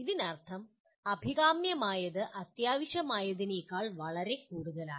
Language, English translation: Malayalam, That means what is desirable can be much more than what is essential